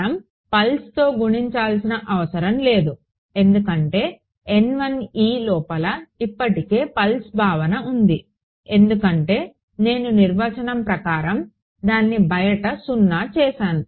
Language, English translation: Telugu, Pulse we do not need to multiply by pulse because N 1 e already has the pulse notion inside it, because I by definition I have made it 0 outside